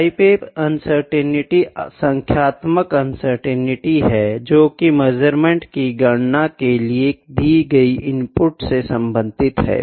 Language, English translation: Hindi, The type A uncertainty is the numerical uncertainty that is associated with an input to the computation of a measurement